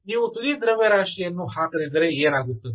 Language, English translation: Kannada, what happen if you don't put the tip mass